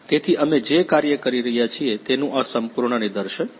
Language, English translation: Gujarati, So, this is the complete demonstration of the project we are working